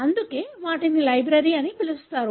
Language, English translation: Telugu, That is why they are called as library